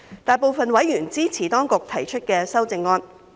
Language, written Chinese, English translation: Cantonese, 大部分委員支持當局提出的修正案。, The Governments amendments are supported by a majority of members